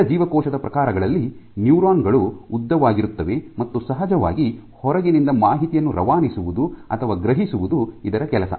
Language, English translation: Kannada, Among the other cell types neurons are the longest in length and of course, their job is to transmit or sense information from outside, ok